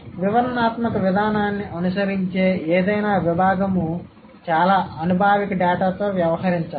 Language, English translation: Telugu, And any discipline that follows the descriptive approach has to deal with a lot of data, a lot of empirical data